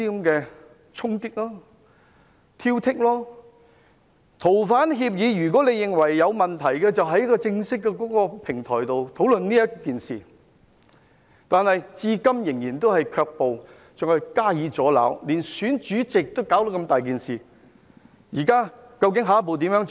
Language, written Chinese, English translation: Cantonese, 如果認為《逃犯條例》有問題，可以在正式的平台討論，但他們至今仍然卻步，更加以阻撓，連選舉主席也搞出如此大件事。, If they consider the Fugitive Offenders Ordinance FOO problematic they can engage in discussion on a formal platform but so far they have balked at it and even obstructed it . Even the election of a chairman has caused such a sensation